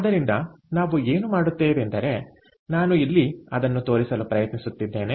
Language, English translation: Kannada, ok, so what we will do is this is what i am trying to show here